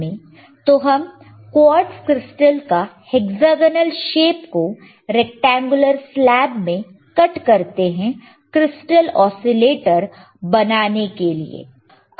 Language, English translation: Hindi, So, we are using a hexagonal shape of quartz crystal cut into rectangular slab to construct the crystal oscillator